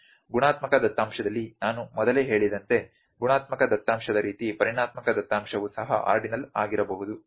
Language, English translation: Kannada, Like I said before in the qualitative data as well quantitative data can also be ordinal